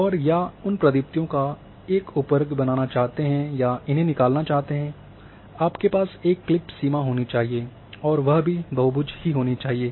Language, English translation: Hindi, And you want to extract or make a subset of those blazes, so you need to have a clip boundary and that has to be the polygon